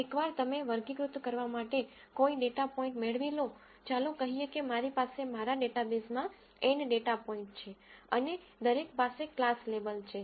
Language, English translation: Gujarati, Once you get a data point to be classified, let us say I have N data points in my database and each has a class label